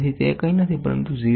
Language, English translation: Gujarati, So, that is nothing but 0